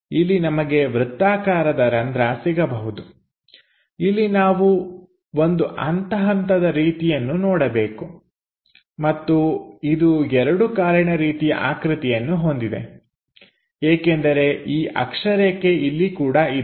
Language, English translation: Kannada, So, here we might be going to have some cylindrical hole, here we have to see something like a step and it has two legs kind of thing because this axis is also there